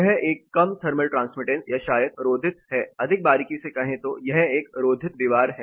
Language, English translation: Hindi, This is a low thermal transmittance or probably an insulated wall, more closely an insulated wall